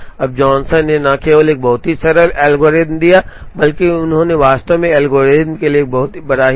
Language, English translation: Hindi, Now, Johnson not only gave a very simple algorithm, but he actually gave a very elegant proof for the algorithm